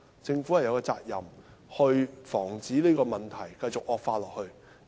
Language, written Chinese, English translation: Cantonese, 政府有責任防止這問題繼續惡化。, The Government is duty - bound to prevent this problem from worsening